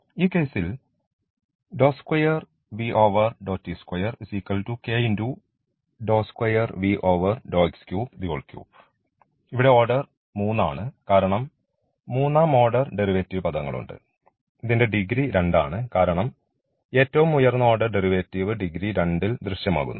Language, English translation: Malayalam, And in this case here the order is 3 so because third order derivative terms are there and the degree is 2, because the highest order derivative appears in degree 2